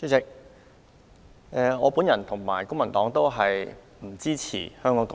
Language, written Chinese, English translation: Cantonese, 主席，我本人和公民黨都不支持"港獨"。, President neither the Civic Party nor I support Hong Kong independence